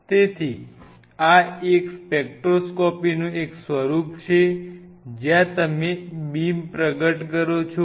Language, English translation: Gujarati, So, this is one form of a spectroscopy where what you do the emerging beam